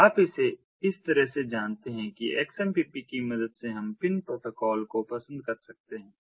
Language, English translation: Hindi, so you know, think of it this way that ah, with the help of xmpp, we can do things very similar to, like, the pin protocol